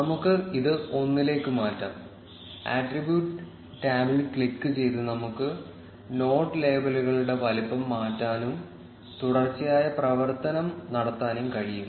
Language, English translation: Malayalam, Let us change it back to 1, we can also resize the node labels by clicking on the attribute tab, and have a continuous function